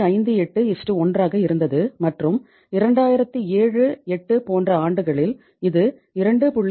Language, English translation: Tamil, 58:1 in 2000 2001 and in in the years like 2007 08 it had become 2